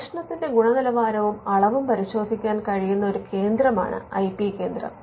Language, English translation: Malayalam, Now, the IP centre will be a centre that can look into the quality and the quantity of research